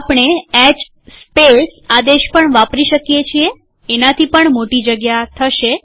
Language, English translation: Gujarati, We can also use the command, hspace, would be even larger space